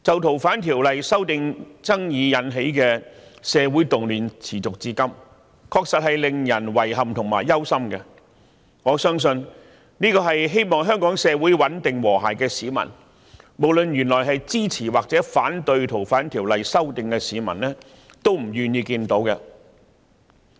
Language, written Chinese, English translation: Cantonese, 《逃犯條例》修訂爭議引起的社會動亂持續至今，確實令人感到遺憾和憂心，我相信這是希望香港社會穩定和諧的市民——無論他們原本是支持或反對修訂《逃犯條例》——都不願意看到的。, Is this the objective fact in its entirety? . The social disturbances caused by the controversy over the amendments of the Fugitive Offenders Ordinance FOO have persisted to date which is indeed regrettable and worrying . I believe all citizens who wish the society of Hong Kong to be stable and harmonious do not wish to see this whether they originally supported or opposed the FOO amendment